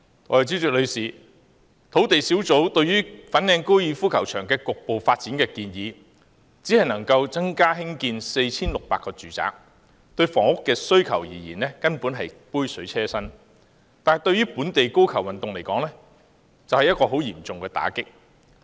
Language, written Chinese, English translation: Cantonese, 代理主席，土地供應專責小組提出的粉嶺高爾夫球場局部發展建議，只能興建 4,600 個住宅，對房屋需求而言，根本是杯水車薪，但對於本地高爾夫球運動而言，卻是十分嚴重的打擊。, Deputy President the proposal of partial development of the Fanling Golf Course made by the Task Force on Land Supply can cater for producing 4 600 flats only which is absolutely just a drop in a bucket in terms of housing demand but it is a heavy blow to the local golf sport